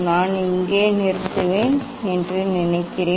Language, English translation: Tamil, I think I will stop here